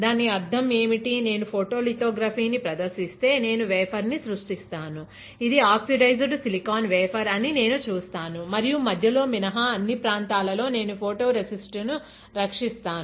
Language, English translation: Telugu, What does it mean; if I perform photolithography, I will be creating a wafer, I will see this is an oxidize silicon wafer, and I will protect my photo resist in all the area except in the centre